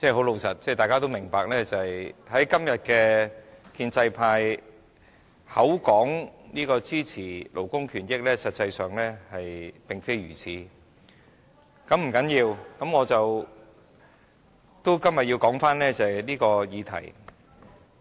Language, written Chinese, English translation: Cantonese, 老實說，大家都明白，今天的建制派口說支持勞工權益，但實際上卻並非如此，但這不要緊，今天我要回到這項議題的討論上。, Frankly nowadays although the pro - establishment camp claims that it champions labour rights in reality it is not the case . However it does not matter and today I wish to stay on the course of discussing this subject